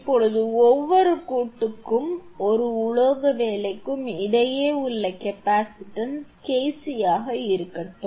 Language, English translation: Tamil, Now, let the capacitance between each joint and a metal work be KC